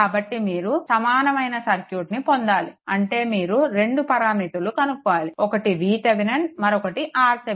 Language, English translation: Telugu, So, if you go to this right equivalent of 2 step, you have to 2 things; you have to obtain one is V Thevenin, another is R thevenin